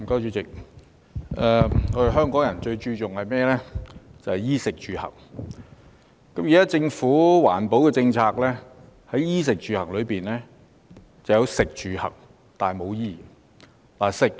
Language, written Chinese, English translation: Cantonese, 主席，香港人最注重衣、食、住、行，而現時政府的環保政策只涵蓋其中的食、住、行，但沒有衣。, President while the people of Hong Kong attach great importance to clothing food housing and transport the Governments existing policy on environmental protection only covers food housing and transport but not clothing